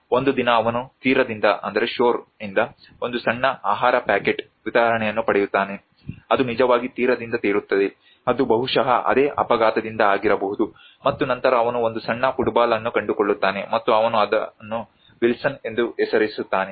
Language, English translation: Kannada, One day he gets a small food packet delivery from the shore which actually float from the shore probably it could have been from the same accident and then he finds a small football and he names it as Wilson